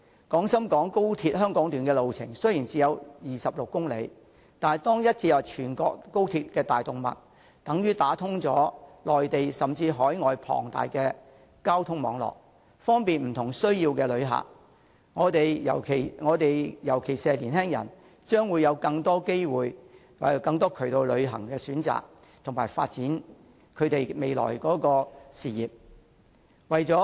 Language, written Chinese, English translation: Cantonese, 廣深港高鐵香港段的路程雖然只有26公里，但一經接入全國高鐵的大動脈，便等於打通了內地甚至海外龐大的交通網絡，方便不同需要的旅客，尤其是年輕人將會有更多旅遊的選擇及發展未來事業的機會。, Although the Hong Kong Section of XRL will only be 26 km long once it is linked to the main artery of the national high - speed rail network it will be connected to the entire transportation network of the Mainland or even those of overseas countries . This will bring convenience to visitors with different needs particularly it will offer young people with more travel options and career opportunities